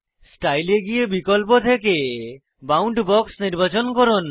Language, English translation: Bengali, Scroll down to Style, and select Boundbox from the options